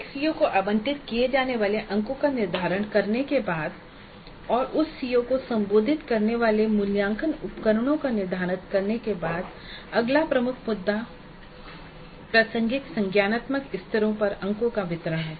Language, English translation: Hindi, The next important aspect that is after determining the marks to be allocated to a CO and after determining the assessment instruments over which that CO is to be addressed, the next major issue to be decided is the distribution of marks over relevant cognitive levels